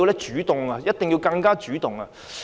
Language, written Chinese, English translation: Cantonese, 政府一定要更主動。, It must be more proactive